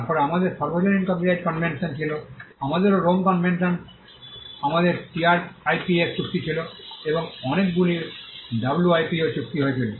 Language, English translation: Bengali, Then we had the universal copyright convention we also have the ROME convention, we had the TRIPS agreement, and a host of WIPO treaties